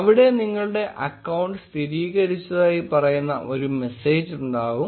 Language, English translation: Malayalam, And there will be a message which says your account has been confirmed